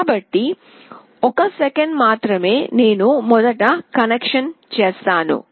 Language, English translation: Telugu, So, just a second I will just make the connection first